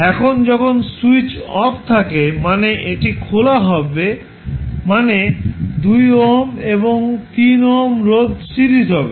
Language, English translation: Bengali, Now, when switch is off means it is opened the 2 ohm and 3 ohm resistances would be in series